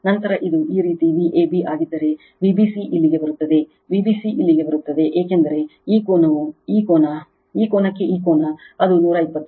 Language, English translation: Kannada, Then if it is V a b like this, then V b c will come here V b c will come here because this angle to this angle, it is 120 degree